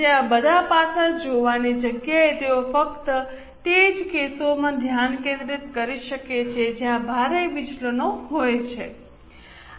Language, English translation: Gujarati, So, instead of looking at all aspects, they can just concentrate on those cases where there are heavy deviations